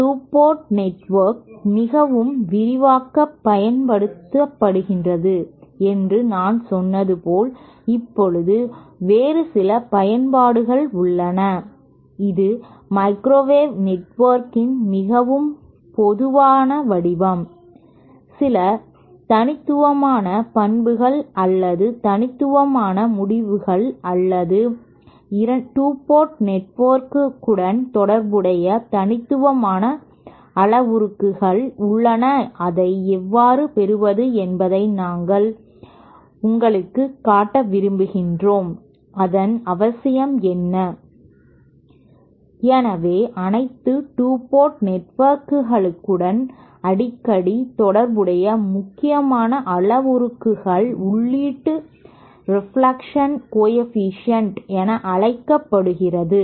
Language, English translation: Tamil, Now there are some other applications of since then as I said the 2 port network is very extensively used it is the most common form of microwave network, there are some unique properties or unique results or unique unique parameters associated with 2 port network that we would that I would like to show you how to derive it and what is the what is the necessity of thatÉ So 1 into important important parameter that is frequently associated with all 2 port networks is what is known as the input reflection coefficient